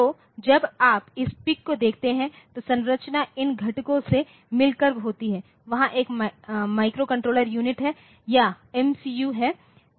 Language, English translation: Hindi, is the consisting of these components there is a microcontroller unit or MCU there